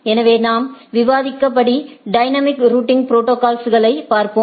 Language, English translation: Tamil, So, as we discussed if we look at the dynamic routing protocol